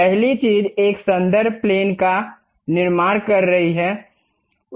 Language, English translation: Hindi, First thing is constructing a reference plane